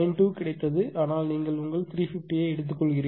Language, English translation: Tamil, 92, but you take your 350